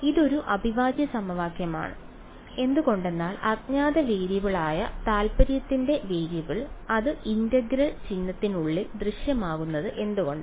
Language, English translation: Malayalam, It is an integral equation why because the variable of a interest which is the unknown variable is it appearing inside the integral sign